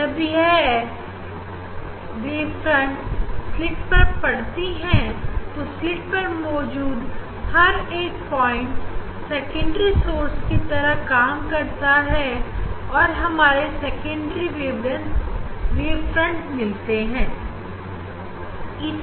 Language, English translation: Hindi, when this wave fronts falls on the slit then on the slit each point will act as a secondary source from each point again, we will get the we get the secondary wavelets